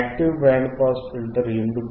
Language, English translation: Telugu, Why active band pass filter